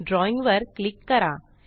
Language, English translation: Marathi, Click on Drawing